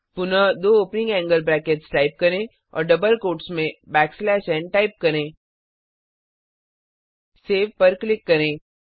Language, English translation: Hindi, Again type two opening angle brackets and within the double quotes type back slash n Now click on Save